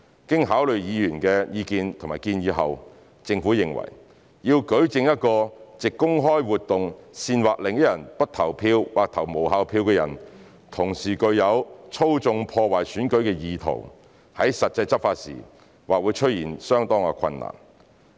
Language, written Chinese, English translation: Cantonese, 經考慮議員的意見及建議後，政府認為，要舉證一個藉公開活動煽惑另一人不投票或投無效票的人，同時具有"操縱、破壞選舉"的意圖，在實際執法時或會出現相當困難。, Having considered members views and suggestions the Government has advised that it would be very difficult for enforcement in practice to prove that a person has the intent of manipulating and undermining the election while inciting another person not to vote or to cast an invalid vote by public activity